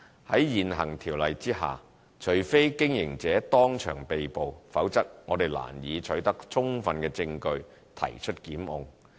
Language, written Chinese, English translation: Cantonese, 在現行《條例》下，除非經營者當場被捕，否則我們難以取得充分證據提出檢控。, Under the current Ordinance we cannot secure sufficient admissible evidence to initiate a prosecution unless the operator is apprehended on the premises